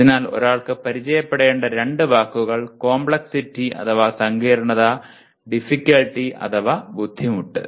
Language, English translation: Malayalam, So the two words that one has to be familiar with, complexity and difficulty